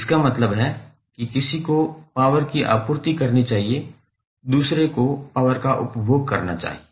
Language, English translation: Hindi, It means 1 should supply the power other should consume the power